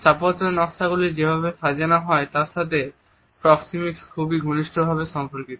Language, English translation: Bengali, Proxemics also very closely related with the way architectural designs are put across